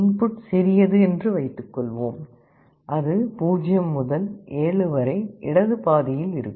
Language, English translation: Tamil, Suppose I say that the input is smaller; then it will be on the left half 0 to 7